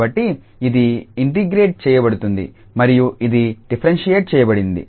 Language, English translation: Telugu, So, this will be integrated and this one will be differentiated